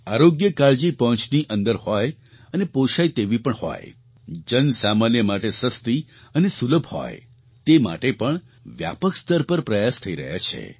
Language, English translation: Gujarati, Efforts are being extensively undertaken to make health care accessible and affordable, make it easily accessible and affordable for the common man